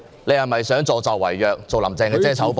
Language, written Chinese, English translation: Cantonese, 你是否想助紂為虐，做"林鄭"的遮醜布呢？, Are you helping the evildoer to do evil acting as a fig leaf for Carrie LAM?